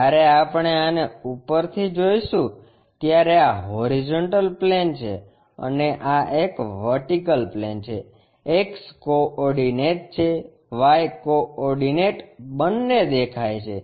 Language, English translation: Gujarati, When we are looking top view this one, this is the horizontal plane and this is the vertical plane, X coordinate, Y coordinates visible